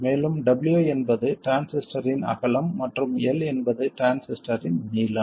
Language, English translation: Tamil, And w is the width of the transistor and L is the length of the transistor